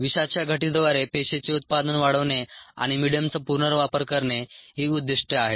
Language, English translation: Marathi, the aim is to enhance cell yields through toxin reduction and medium recirculation